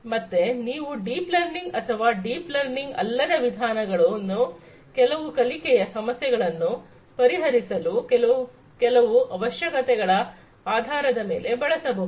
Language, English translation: Kannada, So, you can use deep learning or non deep learning methods to solve certain learning problems depending on the certain requirements that are there